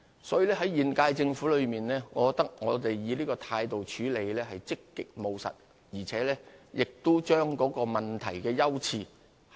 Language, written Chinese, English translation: Cantonese, 所以，我覺得現屆政府以這種態度處理此事，是積極務實，亦合適地把握問題的優次。, Hence I consider the incumbent Government to be proactive and pragmatic in taking such an attitude to deal with the matter . It has also grasped the priority of problems appropriately